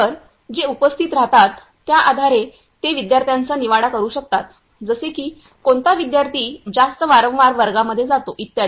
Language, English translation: Marathi, So, that they can judge students based on their attendance like which student is attending classes more frequently and so on ok